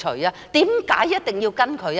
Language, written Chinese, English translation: Cantonese, 為何一定要跟隨他？, Why should she follow in his footsteps?